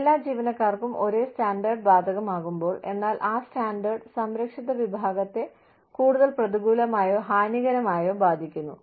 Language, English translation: Malayalam, When the same standard, is applied to all employees, but that standard, affects the protected class, more or negatively or adversely